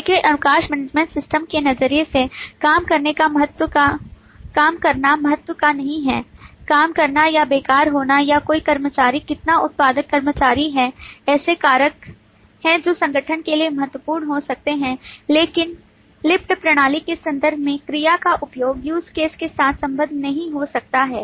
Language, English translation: Hindi, working or idling or how some employee, how productive an employee is, are factors which may be important for the organization, but in terms of the lift system, the work may not associate with the use case